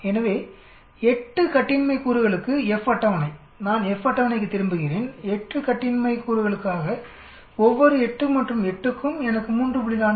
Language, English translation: Tamil, So F table for 8 degrees of freedom, let me go back to the F table for 8 degrees of freedom each 8 and 8, I get 3